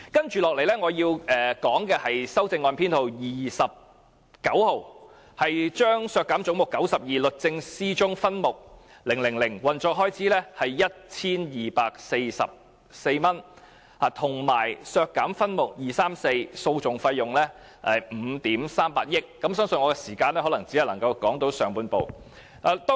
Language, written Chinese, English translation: Cantonese, 接着，我想討論修正案編號 29， 有關削減"總目 92― 律政司"中的分目 000， 涉及運作開支約 1,244 萬元；以及就修正案編號 30， 削減總目92中的分目 234， 涉及訴訟費用5億 3,800 萬元。, Next I wish to discuss amendment 29 which resolved that Head 92―Department of Justice be reduced in respect of subhead 000 involving operational expenses of roughly 12.44 million; and I also wish to discuss amendment 30 which resolved that head 92 be reduced in respect of subhead 234 involving litigation costs of 538 million